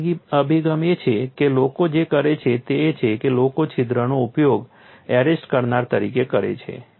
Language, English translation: Gujarati, Another approach what people do is people use hole as a arrester